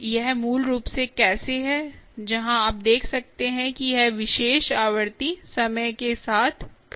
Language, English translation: Hindi, you can see that, ah, how this particular frequency where is over time